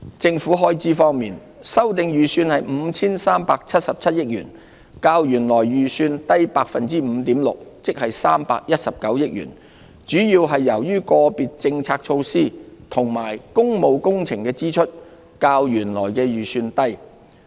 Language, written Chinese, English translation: Cantonese, 政府開支方面，修訂預算為 5,377 億元，較原來預算低 5.6%， 即319億元，主要是由於個別政策措施及工務工程的支出較原來預算低。, As for government expenditure the revised estimate is 537.7 billion 5.6 % or 31.9 billion lower than the original estimate . This is mainly because the expenditures on certain policy initiatives and public works projects were lower than the original estimates